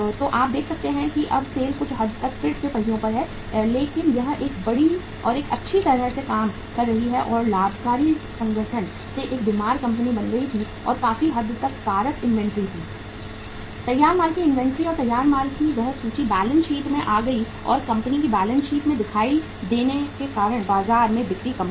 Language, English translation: Hindi, So you can see that as a result of that now the SAIL is again to some extent back on the wheels but it had become a sick company from a well functioning or profitmaking organization and largely the factor was inventory, inventory of the finished goods and that inventory of the finished goods came in the balance sheet or appeared in the balance sheet of the company because of the lost sale in the market